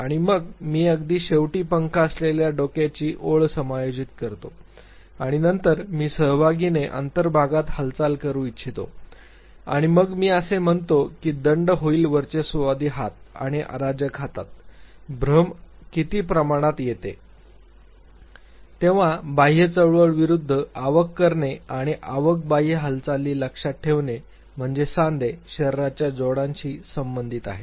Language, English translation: Marathi, And then I adjust the feather headed line right at the end and then I want the participant to make an inward movement, and then I say that fine will dominant hand and the non dominant hand, what is the degree of illusion when it comes to making an inward versus an outward movement and remember inward outward movement has to do with the joints, the body joints